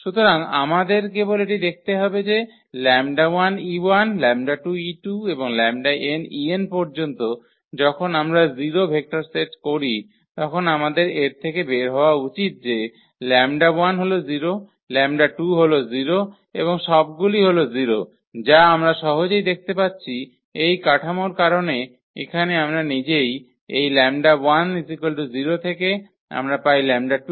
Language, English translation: Bengali, So, we have to just see that lambda e 1 lambda 2 e 2 and so, lambda n e n when we set to 0 vector then we should get out of this that lambda 1 is 0, lambda 2 is 0 and all are this 0’s which we can easily see because of this structure here itself we will get from this lambda 1 0 from here we will get lambda 2 0 and so on